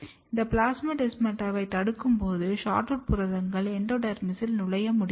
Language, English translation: Tamil, And when you block this plasmodesmata, you can see that the SHORTROOT proteins cannot enter in the endodermis